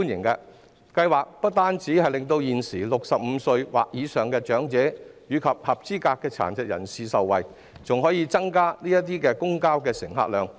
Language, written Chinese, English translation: Cantonese, 該計劃不單令現時65歲或以上的長者及合資格殘疾人士受惠，還可以增加公共交通乘客量。, Not only can the scheme benefit elderly people presently aged 65 or above and eligible persons with disabilities . It can also increase the patronage of public transport